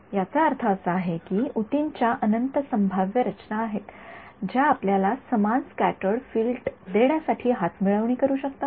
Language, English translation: Marathi, That means, there are infinite possible configurations of the tissue which can conspire to give you the same scattered field